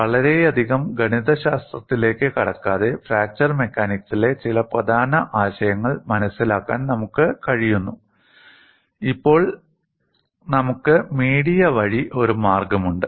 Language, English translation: Malayalam, See, without getting into much mathematics, we are in a position to understand certain key concepts in fracture mechanics and we have a via media now